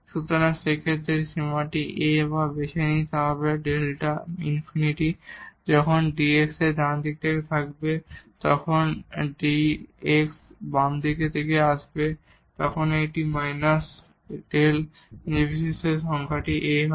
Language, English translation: Bengali, So, in that case this limit whatever A we choose this will be plus infinity when delta x approaches from the right side when delta x approaches from the left side this will become minus infinity irrespective of this number A